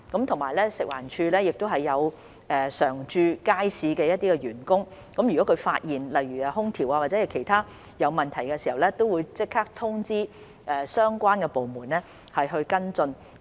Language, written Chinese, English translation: Cantonese, 此外，食環署也有一些常駐街市的員工，如果他們發現空調或其他方面出現問題，會即時通知相關部門跟進。, In addition FEHD has some staff stationed in the markets . If they find any problems with the air - conditioning or other aspects they will immediately inform the relevant departments for follow - up actions